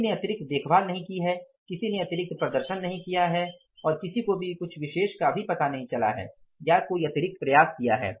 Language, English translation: Hindi, Nobody has taken extra care, nobody has performed extra, nobody has found out anything special or done something extra or made any extra efforts